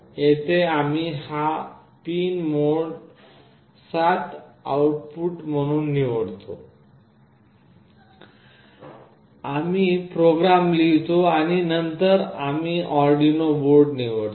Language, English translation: Marathi, Here we select this pin mode 7 as output, we write the program, and then we select the Arduino board